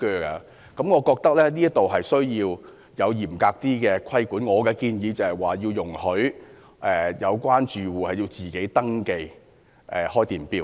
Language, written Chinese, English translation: Cantonese, 因此，我認為必須有更嚴格的規管，我建議容許有關租客自行登記開電錶。, Hence I consider that more stringent regulation must be imposed and I propose allowing tenants to register electricity accounts of their own